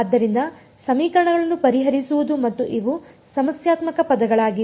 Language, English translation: Kannada, So, solving the equations and these are the problematic terms